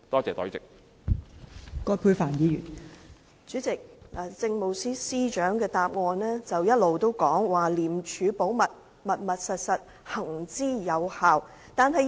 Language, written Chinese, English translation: Cantonese, 代理主席，政務司司長的答覆一直強調"廉署保密，密密實實"，並且行之有效。, Deputy President the reply of the Chief Secretary for Administration keeps stressing the effective and time - tested efforts of ICAC to maintain the strictest confidence